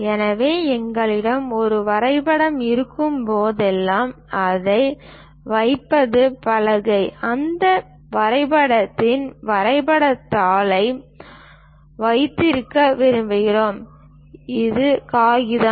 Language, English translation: Tamil, So, whenever we have a drawing board, to hold this is the board ; we will like to hold the drawing sheet on that drawing board, this is the paper